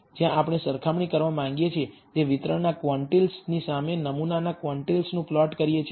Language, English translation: Gujarati, Where we plot the sample quantiles, against the quantiles from the distribution with which we want to compare